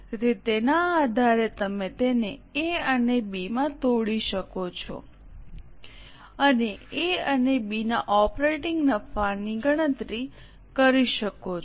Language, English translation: Gujarati, So, based on that, you can break it down into A and B and compute the operating profit from A and B